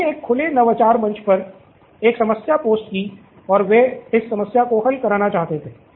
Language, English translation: Hindi, They posted a problem on an open innovation platform and they wanted to solve this problem, okay